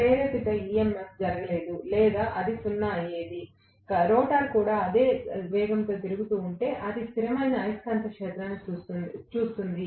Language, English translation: Telugu, The induced EMF would not have taken place or it would have been 0, if the rotor also had rotated at the same speed, then it would be seeing a stationary magnetic field